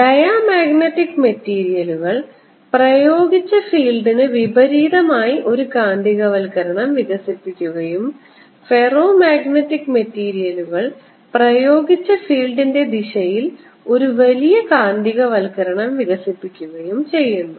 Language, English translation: Malayalam, diamagnetic materials: they develop a magnetization opposite to the applied field and ferromagnetic materials develop a large magnetization in the direction of applied field